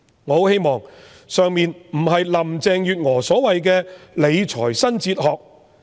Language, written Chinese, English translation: Cantonese, 我很希望以上的想法不是林鄭月娥所謂的"理財新哲學"。, I very much hope that such an idea will not be part of the so - called new fiscal philosophy of Carrie LAM